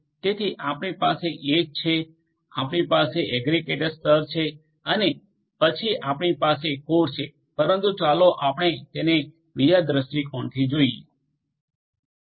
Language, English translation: Gujarati, So, you have the edge, you have the indicator layer and then you have the core, but let us look at it look at it from another viewpoint